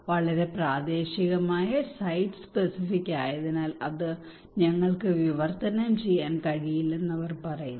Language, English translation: Malayalam, They are saying that is very localised site specific we cannot translate that one